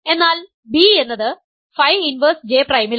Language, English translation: Malayalam, So, its image is phi of phi inverse J prime